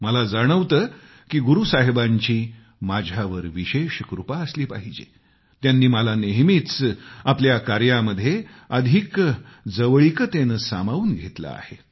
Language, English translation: Marathi, I feel that I have been specially blessed by Guru Sahib that he has associated me very closely with his work